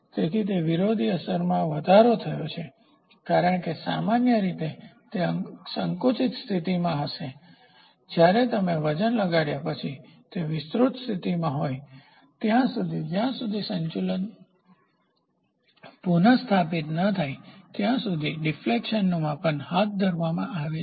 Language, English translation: Gujarati, So, there is an increase in the opposing effect because normally it will be in a compressed position once you put a weight it is in an extended position opposite effect until a balance is restored at which stage the measurement of defection is carried out